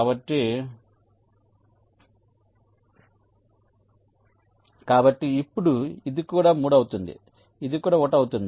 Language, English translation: Telugu, so now this will also be three, this will also be one